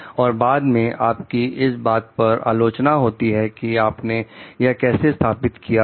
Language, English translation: Hindi, Afterward you are criticized for the way that you installed it